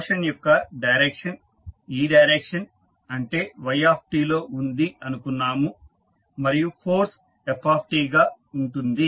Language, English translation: Telugu, We say that the direction of motion is in this direction that is y t and force is f t